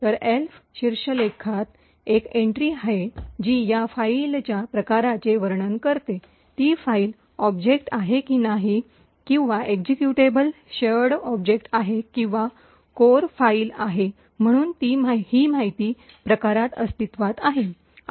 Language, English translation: Marathi, Then, there is an entry in the Elf header which describes the type of this particular file, whether the file is an object, or an executable a shared object or a core file, so this information is present in type